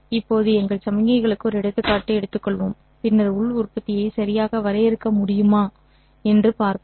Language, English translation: Tamil, Now let us take an example of our signals and then see if we can define the inner product